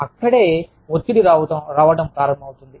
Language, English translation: Telugu, That is where, the stress starts coming about